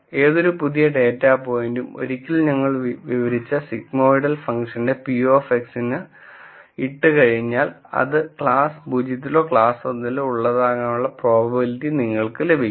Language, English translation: Malayalam, And for any new data point, once we put that data point into the p of x function that sigmoidal function that we have described, then you get the probability that it belongs to class 0 or class 1